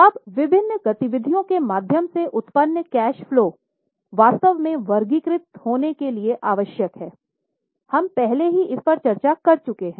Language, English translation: Hindi, Now, the cash flows which are generated through various activities are actually required to be classified